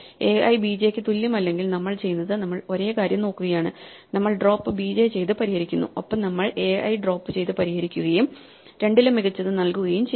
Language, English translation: Malayalam, So, this is the good case, if a i is not equal to b j then what we do is we look at the same thing, we drop b j and solve it and symmetrically we drop a i and solve it and take the better of the two